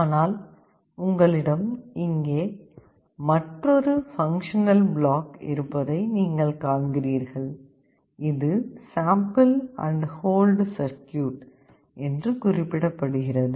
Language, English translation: Tamil, But you see you have another functional block out here, which is mentioned called sample and hold circuit